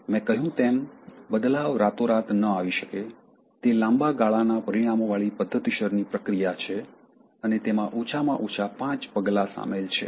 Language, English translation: Gujarati, Change, I said, cannot come overnight, it is a systemic process with long term consequences, and it involves at least five steps